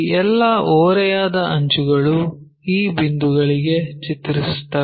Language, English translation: Kannada, All these slant edges maps to this point